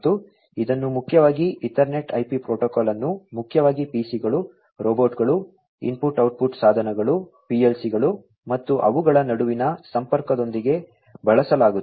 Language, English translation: Kannada, And, this is mainly used Ethernet IP protocol is mainly used with PCs, robots, input output devices, PLCs and so on and connectivity between them